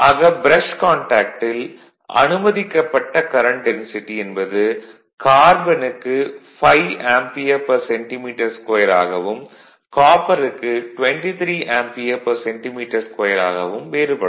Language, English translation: Tamil, So, the allowable current density at the brush contact varies from 5 ampere per centimetre square in case of carbon to 23 ampere per centimetre square in case of copper